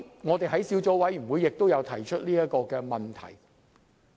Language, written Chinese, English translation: Cantonese, 我們在小組委員會上也有提出這問題。, We have already asked the Judiciary about this issue at the Subcommittee